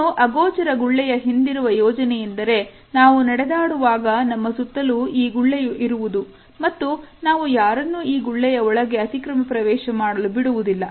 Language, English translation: Kannada, Now, the idea behind this invisible bubble is that, when we walk we are surrounded by this invisible bubble and we normally do not allow people to encroach upon this invisible bubble